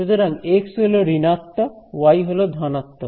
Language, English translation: Bengali, So, the x component is negative, the y component is positive right